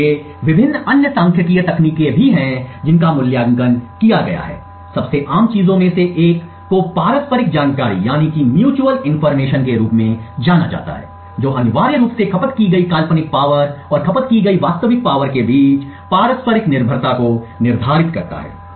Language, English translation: Hindi, So, there are various other statistical techniques which have been evaluated, one of the most common things is known as the mutual information which essentially quantifies the mutual dependence between the hypothetical power consumed and the real power consumed